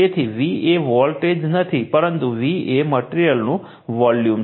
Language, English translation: Gujarati, So, your V is not the voltage, V is the value of the material right